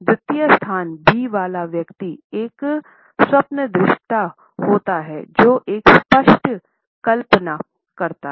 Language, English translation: Hindi, The second person with the position B is rather a dreamer who happens to have a vivid imagination